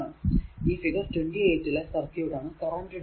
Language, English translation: Malayalam, So, circuit shown in figure 28 is called the current divider